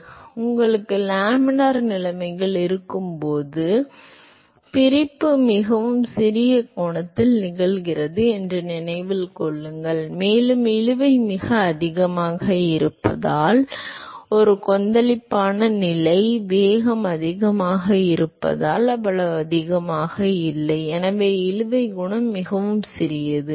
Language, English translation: Tamil, So, remember that when you have laminar conditions the separation occurs at a much smaller angle and that because the drag is much higher and a turbulent conditions because the velocity is much higher the drag is not that high and therefore, the drag coefficient is much smaller